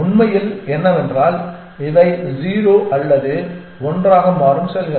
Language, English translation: Tamil, What is really out there is that these are the cells which become 1 or 0 essentially